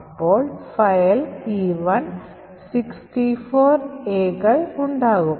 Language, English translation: Malayalam, So, file E1 comprises of 64 A’s